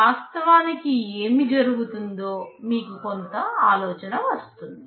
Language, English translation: Telugu, You get some idea what is actually happening